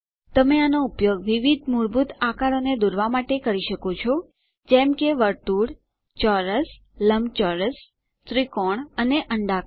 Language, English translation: Gujarati, You can use it to draw a variety of basic shapes such as circles, squares, rectangles, triangles and ovals